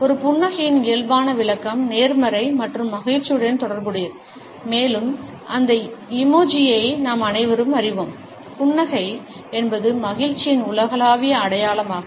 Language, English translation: Tamil, Normal interpretation of a smile is associated with positivity and happiness, and all of us are aware of that emoji, the smiling face the universal symbol of happiness